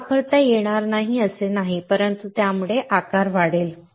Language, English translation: Marathi, It is not that it cannot be used, but it will result in increased size